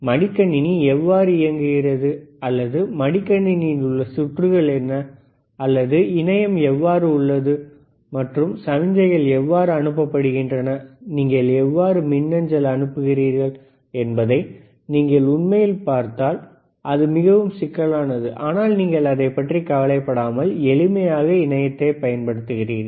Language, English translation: Tamil, If you really see how laptop operates or how the what are the circuits within the laptop, or how the internet is you know comes into existence, and how the signals are sent, how you can send, an email, it is extremely complicated, super complicated, but do not you worry no because you can easily use internet